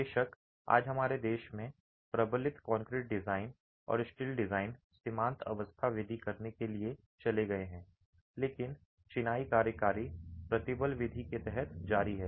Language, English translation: Hindi, Of course, today in our country, reinforced concrete design and steel design have migrated to limit state methods, but masonry continues to be operated under the working stress method